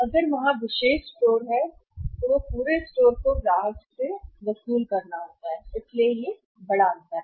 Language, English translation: Hindi, If there is exclusive store then entire has to be recovered by the store from the customer only so that is the major difference